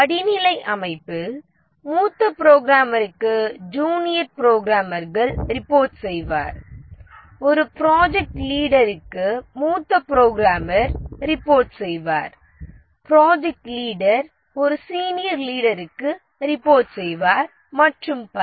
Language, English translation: Tamil, There are junior programmers who report to senior programmer, the senior program report to a project leader, the project leader reports to a senior leader and so on